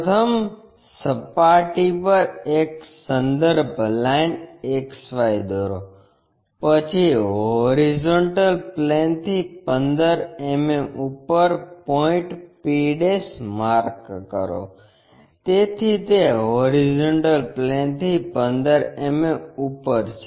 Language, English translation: Gujarati, First draw a reference line XY on the plane, then mark a point p' 15 mm above HP, so this is 15 mm above that HP